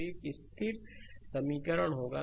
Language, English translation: Hindi, So, one constant equation will be there